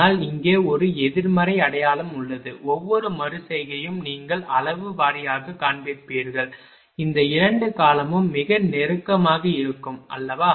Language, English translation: Tamil, But there is a negative sign here, every iteration you will find magnitude wise this 2 term will be very close right